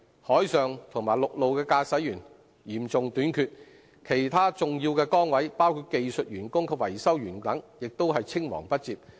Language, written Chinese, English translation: Cantonese, 海上和陸路的駕駛員嚴重短缺，其他重要崗位，包括技術員和維修員等，也是青黃不接。, There is an acute shortage of ship masters and vehicle drivers and succession problems can also be found in other important positions including technicians and mechanics